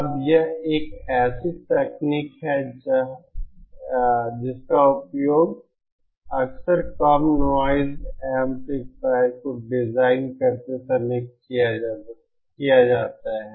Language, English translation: Hindi, Now this is a technique that is frequently used whilst designing low noise amplifiers